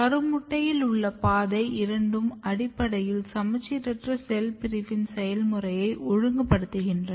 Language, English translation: Tamil, And both of the pathway in the zygote they are basically regulating the process of asymmetric cell division